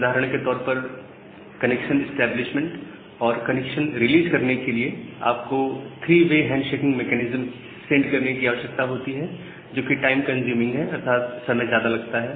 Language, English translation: Hindi, So, for example, for the connection establishment and the connection release, you need to send or you need to have this three way handshaking mechanism which is time consuming